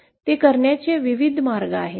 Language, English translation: Marathi, There are various ways of doing it